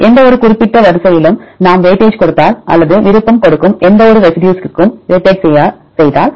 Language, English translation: Tamil, If we give weightage to any specific sequence or we weightage to any given residues right to give preference